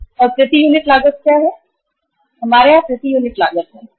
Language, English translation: Hindi, And what is the per unit cost, we have here the per unit cost, cost per unit